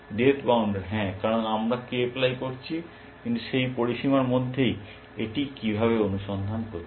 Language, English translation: Bengali, Depth bounder yes, because we have doing k ply, but within that bound, how is it searching in